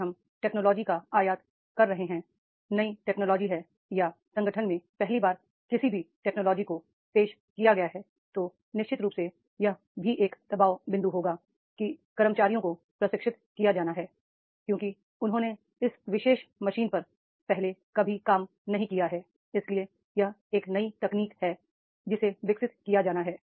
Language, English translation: Hindi, If we are importing the technology, new technology is there or in the organization the first time the technology is introduced then definitely that will be also a pressure point that is the employees are to be trained because they have never worked on this particular machine earlier so that is a new technology there is to be developed